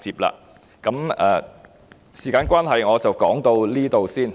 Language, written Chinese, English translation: Cantonese, 由於時間關係，我的發言到此為止。, Given the time constraint I shall stop here